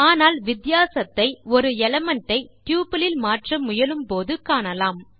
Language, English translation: Tamil, But the difference can be seen when we try to change an element in the tuple